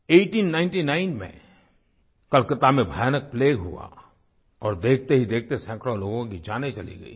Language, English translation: Hindi, In 1899, plague broke out in Calcutta and hundreds of people lost their lives in no time